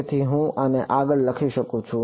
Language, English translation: Gujarati, So, I can further write this as